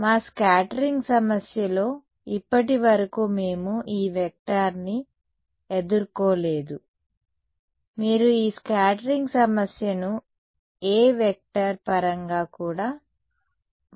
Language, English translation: Telugu, In our scattering problem so, far we have not encountered this A vector right you can also formulate this scattering problem in terms of the A vector ok